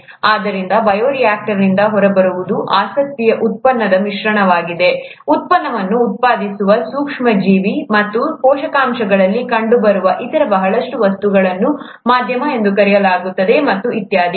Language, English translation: Kannada, So what comes out of the bioreactor is a mixture of the product of interest, the micro organism that is there which is producing the product and a lot of other material which is present in the nutrients, the medium as it is called, and so on